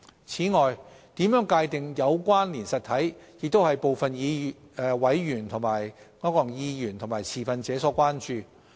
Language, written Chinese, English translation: Cantonese, 此外，如何界定"有關連實體"亦為部分委員和持份者所關注。, In addition the definition of connected entity is also a concern of certain members and stakeholders